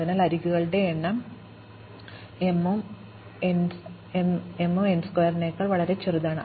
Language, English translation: Malayalam, So, the number of edges is m and m is much smaller than n squared